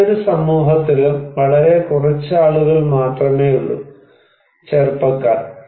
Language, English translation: Malayalam, There are only few people, young people in any community